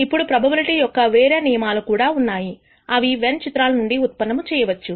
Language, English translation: Telugu, Now, there are other rules of probability that we can derive and these can be done using Venn diagrams